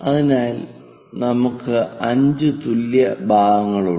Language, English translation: Malayalam, Once it is done, divide that into 5 equal parts